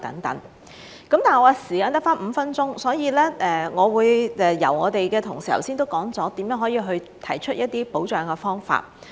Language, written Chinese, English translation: Cantonese, 我的時間只剩下5分鐘，我的同事剛才都說了如何提出一些保障的方法。, I only have five minutes left . Just now my colleagues have already proposed some ways to protect the workers